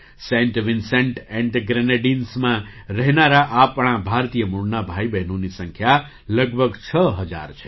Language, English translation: Gujarati, The number of our brothers and sisters of Indian origin living in Saint Vincent and the Grenadines is also around six thousand